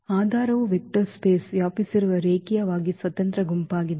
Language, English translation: Kannada, So, the basis is a linearly independent set that span a vector space